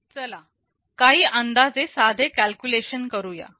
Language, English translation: Marathi, Let us make a simple calculation with some approximation